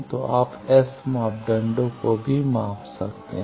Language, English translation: Hindi, So, you can measure S parameter